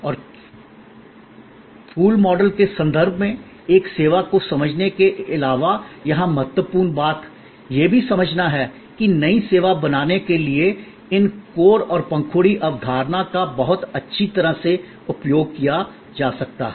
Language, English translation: Hindi, And the important thing here in addition to understanding a service in terms of the flower model, the important thing here is to also understand that these core and petal concept can be used very well to create a new service